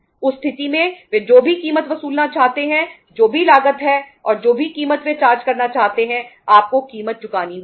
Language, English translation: Hindi, In that case whatever the price they want to charge, whatever the cost is there and whatever the price they want to charge you have to pay the price